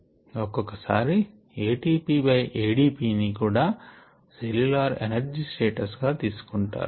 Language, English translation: Telugu, sometimes even a t p by a d p is considered the cellular energy status